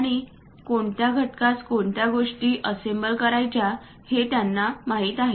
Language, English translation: Marathi, And they know which component has to be assembled to what